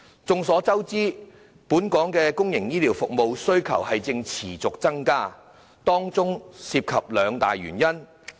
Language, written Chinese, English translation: Cantonese, 眾所周知，本港公營醫療服務的需求正持續增加，當中涉及兩大原因。, It is commonly known that there is a persistently growing demand for public healthcare services in the territory for two major reasons